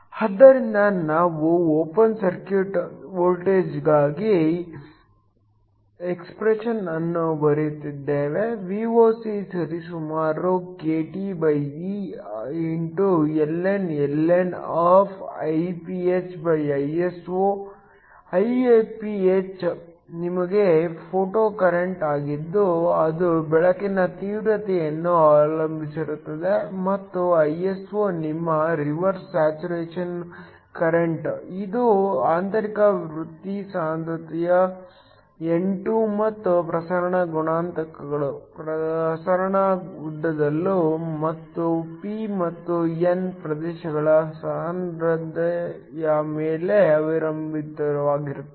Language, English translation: Kannada, So, We have written down the expression for the open circuit voltage, Vocapproximately kTeln IphIso ; Iph is your photocurrent which depends upon the intensity of the light and Iso is your reverse saturation current, which depends upon the intrinsic career concentration ni2 and also on the diffusion coefficients, diffusion lengths and the concentration of p and the n regions there is a term e here